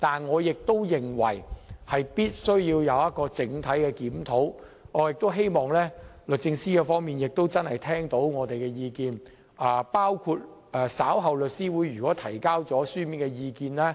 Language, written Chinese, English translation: Cantonese, 可是，我認為政府必須進行全面檢討，亦期望律政司真的會聆聽我們的意見，包括律師會將於稍後向其提交的書面意見。, Nevertheless I think the Government must also conduct comprehensive reviews indeed and hope the Secretary for Justice will really listen to our views including the written submission to be submitted by The Law Society of Hong Kong later on